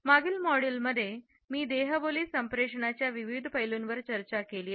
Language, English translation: Marathi, In the preceding modules, I have discussed various aspects of nonverbal communication with you